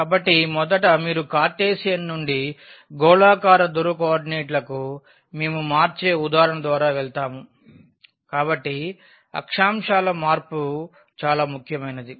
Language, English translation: Telugu, So, first you will go through the example where we change from Cartesian to spherical polar coordinates; so a very important the change of coordinates